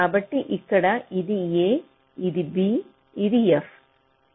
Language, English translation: Telugu, so here this is a, this is b and this is f